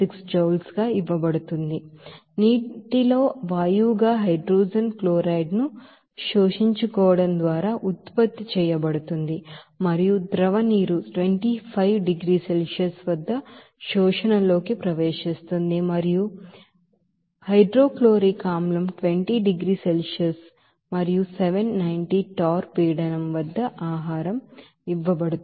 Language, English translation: Telugu, 76 joule per gram degree Celsius is to be produced by absorbing hydrogen chloride as a gas in the water and liquid water enters the absorber at 25 degrees Celsius and gaseous hydrochloric acid is fed at 20 degrees Celsius and a pressure of 790 torr